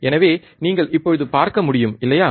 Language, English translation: Tamil, So, you could see now, right